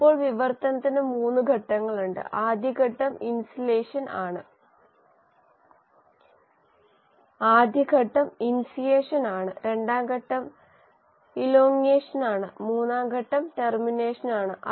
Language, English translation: Malayalam, Now translation has 3 stages; the first stage is initiation, the second stage is elongation and the third stage is termination